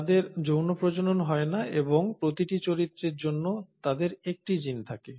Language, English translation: Bengali, One, they do not undergo sexual reproduction and for every character they have one gene